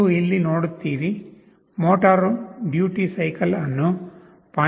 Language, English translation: Kannada, You see here, the motor duty cycle was set to 0